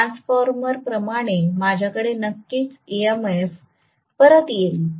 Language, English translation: Marathi, Like a transformer, I will definitely have back EMF